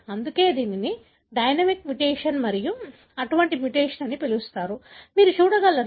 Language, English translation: Telugu, That is why it is called as dynamic mutation and such mutation, you can see